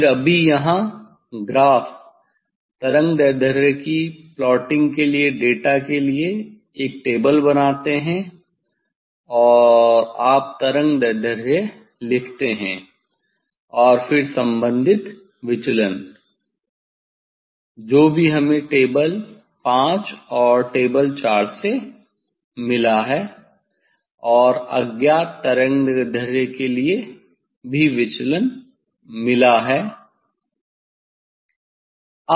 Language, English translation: Hindi, Then just here make a table for data for plotting graph wavelength and you write wavelength and then corresponding deviation, whatever we got from table 5 and table 4 and for unknown wavelength also deviation we got